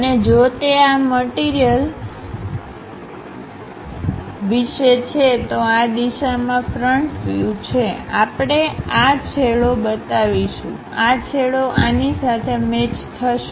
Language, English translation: Gujarati, And if it is about this object, having a front view in this direction; we will represent this end, this end matches with this